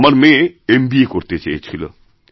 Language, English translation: Bengali, My daughter wanted to do M